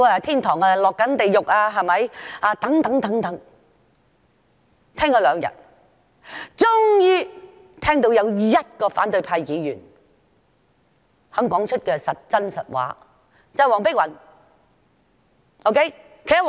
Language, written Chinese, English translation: Cantonese, 聽了兩天議員發言，終於聽到有1位反對派議員肯說出真話，就是黃碧雲議員。, After listening to Members speeches for two days I have finally heard one opposition Member willing to tell the truth that is Dr Helena WONG . She is very honest